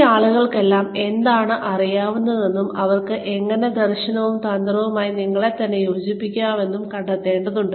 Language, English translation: Malayalam, We need to find out, what all of these people know, and how can they align themselves, with the vision and strategy